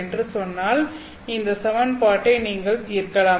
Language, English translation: Tamil, So, you look at these equations over here